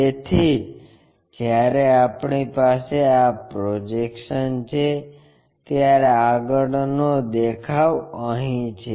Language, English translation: Gujarati, So, when we have this projection, the front view is here